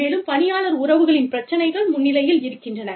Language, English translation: Tamil, And, the employee relations issues, are coming to the fore front